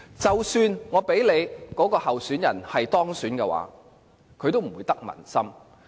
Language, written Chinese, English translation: Cantonese, 即使該位候選人可以當選，也不會得民心。, Even if that candidate is elected heshe cannot get support of the people